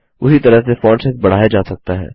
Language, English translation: Hindi, The Font Size can be increased in the same way